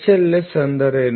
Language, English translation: Kannada, S; what is H